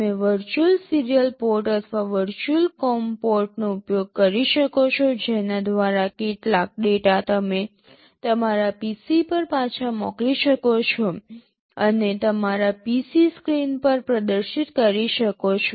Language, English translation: Gujarati, You can use a virtual serial port or virtual com port through which some of the data you can send back to your PC and display on your PC screen